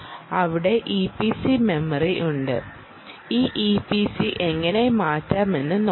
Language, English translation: Malayalam, there is the e p c memory and let us see how to change this e p c ah